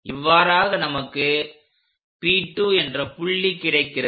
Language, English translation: Tamil, This is P2 point